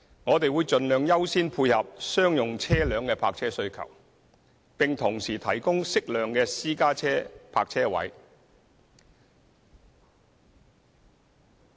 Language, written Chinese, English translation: Cantonese, 我們會盡量優先配合商用車輛的泊車需求，並同時提供適量的私家車泊車位。, We will accord priority to meeting the parking needs of commercial vehicles and will at the same time provide an appropriate number of parking spaces for private cars